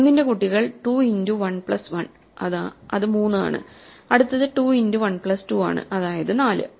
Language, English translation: Malayalam, So, the children of 1 are 2 into 1 plus 1, which is 3 and 2 into 1 plus 2, which is 4